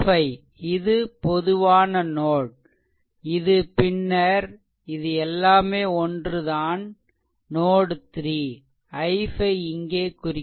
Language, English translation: Tamil, So, i 5 this is a common node, this is all this node this node this node the same thing node 3